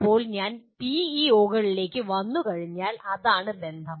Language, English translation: Malayalam, Now, roughly this is the once we come to the PEOs, this is the relationship